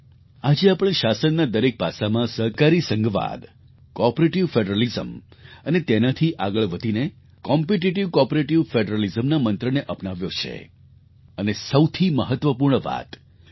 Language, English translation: Gujarati, Today, we have adopted in all aspects of governance the mantra of cooperative federalism and going a step further, we have adopted competitive cooperative federalism but most importantly, Dr